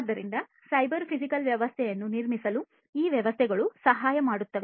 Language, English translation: Kannada, So, so these systems would help in building the cyber physical system